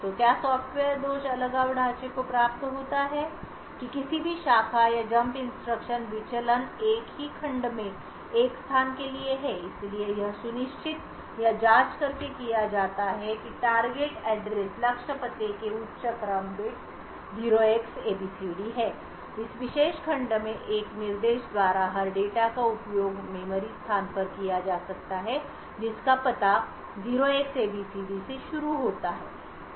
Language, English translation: Hindi, So what the Software Fault Isolation framework achieves is that any branch or jump instruction within the segment is to a location in the same segment so this is done by ensuring or checking that the higher order bits of the target address is 0Xabcd similarly every data access by an instruction in this particular segment can be done to a memory location which has an address starting with 0Xabcd